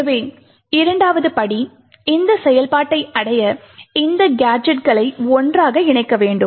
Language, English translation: Tamil, The second step is that we want to stitch these useful gadgets together